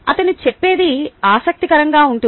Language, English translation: Telugu, what he says is interesting